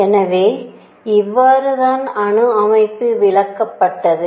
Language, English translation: Tamil, So, this is how the atomic structure was explained